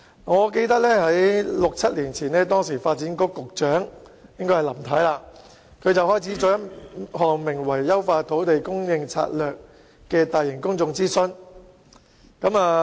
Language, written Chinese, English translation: Cantonese, 我記得在六七年前，時任發展局局長林太，展開了名為"優化土地供應策略"的大型公眾諮詢。, I can recall the large - scale public consultation entitled Enhancing Land Supply Strategy commenced by Mrs LAM about six or seven years ago when she was the Secretary for Development